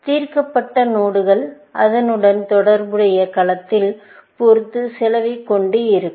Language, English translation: Tamil, Solved nodes, of course, would have an associated cost with it